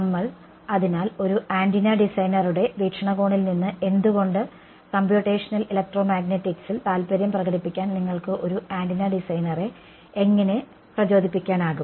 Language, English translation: Malayalam, So, from an antenna designer point of view why would, how can you motivate an antenna designer to get interested in computational electromagnetics